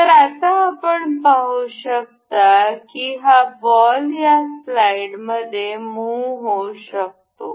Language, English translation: Marathi, So, now, you can see this ball can move into this slide